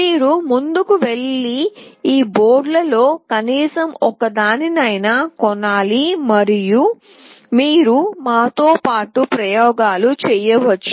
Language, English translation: Telugu, You should go ahead and purchase at least one of these boards and you can do the experiments along with us